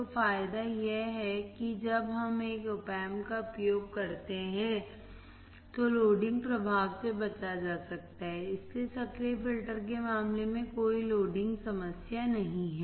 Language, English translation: Hindi, So, the advantage is when we use a Op Amp, then the loading effect can be avoided, so no loading problem in case of active filters